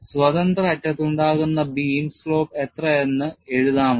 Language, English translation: Malayalam, And, can you write the slope of the beam at the free end